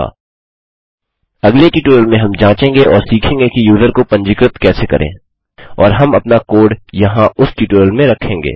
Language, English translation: Hindi, In the next tutorial well test this out and will learn how to register the user and we will put our code here in that tutorial